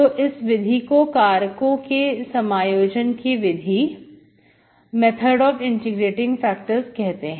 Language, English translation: Hindi, So this is called the method of integrating factors